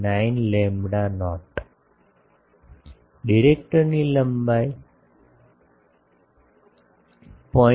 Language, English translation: Gujarati, 49 lambda not, directors length is 0